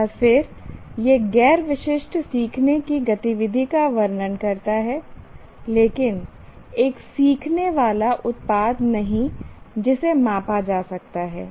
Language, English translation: Hindi, So, once again, this describes non specific learning activity, learning activity but not a learning product that can be measured